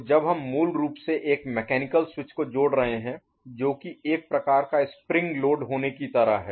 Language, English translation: Hindi, So, when we are basically connecting a mechanical switch which is kind of you know having a spring load kind of thing